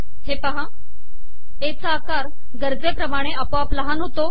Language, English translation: Marathi, The size of A gets automatically reduced to an appropriate level